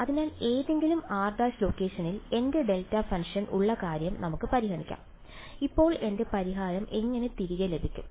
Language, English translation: Malayalam, So, let us consider the case where I have my delta function at any location r prime, how will I get back my solution now